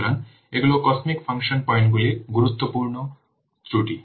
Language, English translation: Bengali, So these are the important drawbacks of cosmic function points